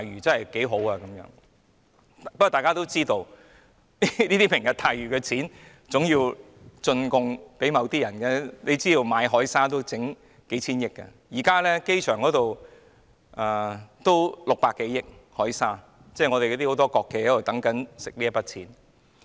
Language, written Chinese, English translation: Cantonese, 然而，大家都知道，"明日大嶼"所涉及的開支，總要"進貢"給某些人，單是購買海沙亦要數千億元——現時機場所用的海沙也要600多億元——很多國企正在等待賺這筆錢。, However we all know that the expenditure involved in Lantau Tomorrow will anyway be expended as a tribute to somebody . The purchase of marine sand alone will cost hundreds of billions of dollars―the marine sand currently used at the airport also costs some 60 billion―many state - owned enterprises are waiting to reap this sum of money